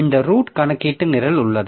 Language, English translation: Tamil, So, this root computation program that is there